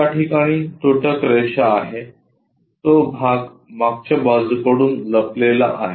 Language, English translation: Marathi, There is a dash line at that, that portion hidden from the back side